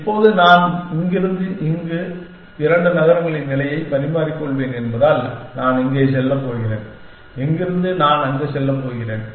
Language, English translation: Tamil, Now, because I will exchange the position of this two cities from here, I am going to go here, from here I am going to go there